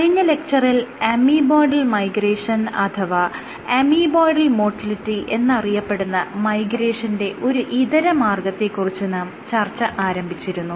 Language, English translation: Malayalam, So, in last lecture we had started this alternate mode of migration called amoeboidal migration, amoeboidal motility